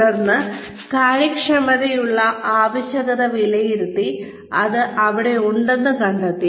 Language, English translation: Malayalam, Then, once the requirement for efficiency is assessed, and it is found to be there